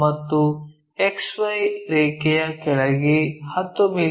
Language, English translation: Kannada, This is the XY line